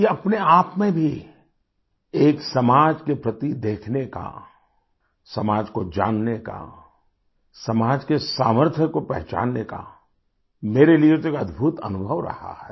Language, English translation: Hindi, Well for me, it has been a phenomenal experience in itself to watch society, know about society, realizing her strength